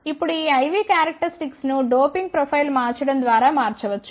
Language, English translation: Telugu, Now, these I V characteristics of the diode can be altered by changing the doping profile